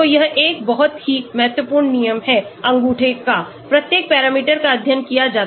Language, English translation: Hindi, So, this is is a very important rule of thumb, for each parameter studied